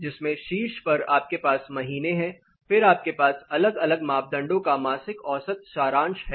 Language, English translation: Hindi, So, in which on the top you have the months then you have monthly mean summary of different parameters